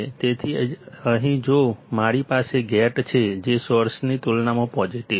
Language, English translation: Gujarati, So, here if I have gate which is positive compared to source